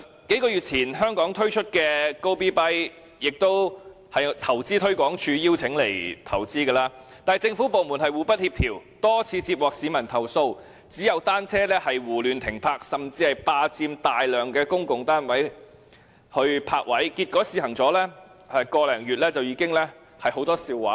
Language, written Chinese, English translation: Cantonese, 數月前在香港推出的共享單車平台 "Gobee.bike" 是投資推廣署邀請來港投資的，但是，政府部門互不協調，多次接獲市民投訴，單車胡亂停泊，甚至霸佔大量公共泊位。結果，試行了1個多月，已鬧出很多笑話。, On invitation by InvestHK the bicycle - sharing platform Gobeebike was launched in Hong Kong a few months ago . However due to a lack of coordination among government departments multiple complaints made by people indiscriminate parking of bicycles and even occupation of many public parking spaces it has made many blunders after more than a month of trial